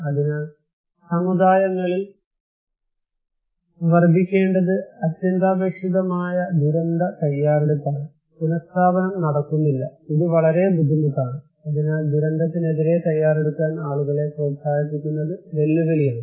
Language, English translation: Malayalam, So, disaster preparedness which is so necessary to increase communities, resiliency is not happening; it is so difficult, so challenging to encourage people to prepare against disaster